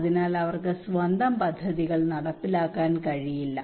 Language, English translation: Malayalam, So they cannot carry out their own projects